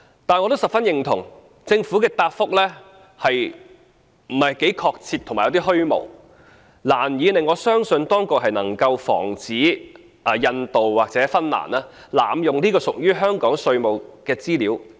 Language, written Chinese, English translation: Cantonese, 但是，我十分認同，政府的答覆不是很確切和有點虛無，難以令我相信當局能夠防止印度或芬蘭濫用這些屬於香港的稅務資料。, Yet I very much agree that the reply of the Government which is not very specific and a bit vague sounds hardly convincing to me that the Government will be able to prevent India or Finland from abusing the use of Hong Kongs tax information